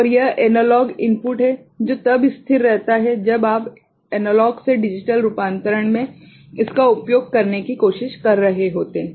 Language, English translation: Hindi, And this is analog input which is remaining constant when you are trying to make use of it in the A to D conversion